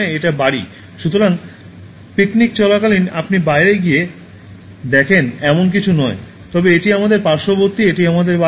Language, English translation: Bengali, ” So, it is not something that you go out and see during a picnic, but it is our surrounding, it is our home